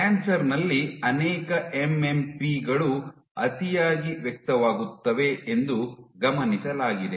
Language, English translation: Kannada, And it has been observed that in cancer multiple MMPs are over expressed